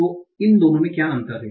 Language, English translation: Hindi, So what is the difference between the two